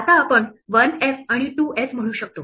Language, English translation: Marathi, Now we can say one f and two s